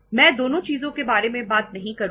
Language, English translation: Hindi, I am not going to talk about both the things